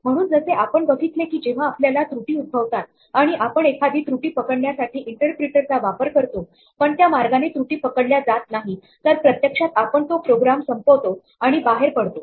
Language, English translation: Marathi, So, as we have seen when we have spotted errors while we have been using the interpreter if an error does happen and we do not trap it in this way then the program will actually abort and exit